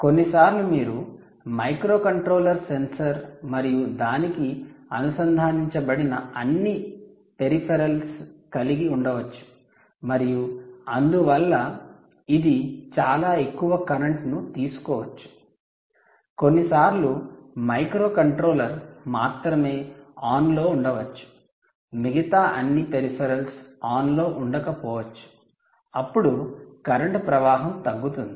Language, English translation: Telugu, sometimes you can have microcontroller, sensor and all peripherals connected to it and therefore it could be drawing a very high current, sometimes only the microcontroller maybe on, with all the other peripherals going down, which means the current could be going down